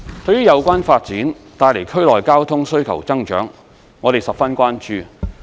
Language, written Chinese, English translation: Cantonese, 對於有關發展帶來區內交通需求增長，我們十分關注。, We are fully aware that the developments would generate additional traffic demand to the area